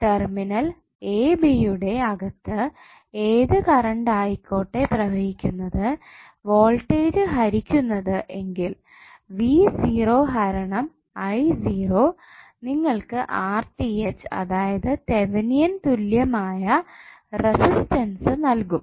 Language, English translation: Malayalam, Whatever the current which is flowing inside the terminal a b divided the voltage which you are applying then v naught divided by I naught would be giving you the value of Thevenin equvalent resistance that is RTh